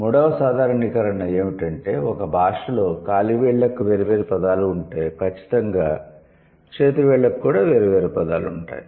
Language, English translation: Telugu, Third generalization was that if a language has an individual word, sorry, has a word for individual toes, then it would definitely have a word for individual fingers